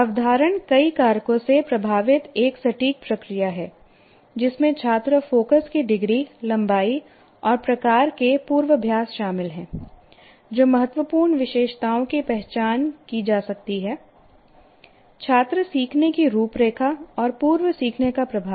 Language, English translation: Hindi, And retention is not a, is an inexact process influenced by many factors, including the degree of student focus, the lengthen type of rehearse on the record, the critical attributes that may have been identified, the student learning profile, and of course the influence of prior learnings